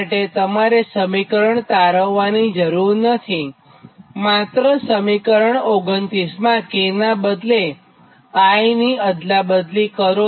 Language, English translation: Gujarati, what you can do is in this expression, just in this expression, equation twenty nine interchange k and i